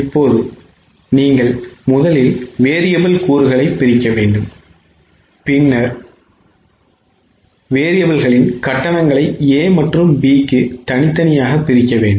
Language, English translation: Tamil, Now to do this you will have to first of all divide the variable component and then for variable charge it to A and B separately, for fixed charge it to A and B separately